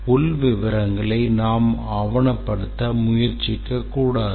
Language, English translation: Tamil, The internal details should not document or try to document